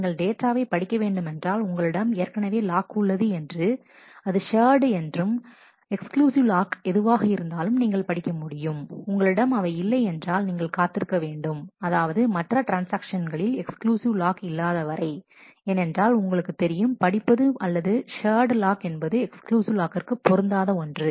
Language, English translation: Tamil, So, if you want to read a data, I if you have a lock already on that either shared, or exclusive you can simply read it, if you do not have that then if you may have to wait until no other transaction has an exclusive lock on that because, you know that read or shared lock is not compatible with the exclusive lock